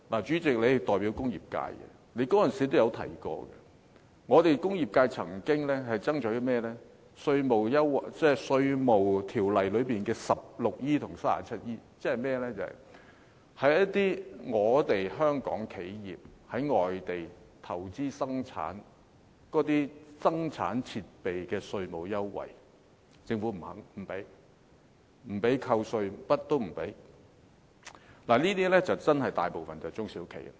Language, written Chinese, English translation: Cantonese, 主席，你代表工業界，你當時也提到，工業界曾經爭取甚麼呢？便是《稅務條例》第 16E 及 39E 條，即是香港企業在外地投資生產，那些生產設備的稅務優惠，政府不准許扣稅，甚麼都不准許，這些便真的與大部分中小企有關。, Chairman as a representative of the industrial sector you have also mentioned that the sector has been fighting for a fairer treatment under sections 16E and 39E of the Inland Revenue Ordinance because local enterprises which invest in production overseas are not given any tax allowances for the machinery and plants used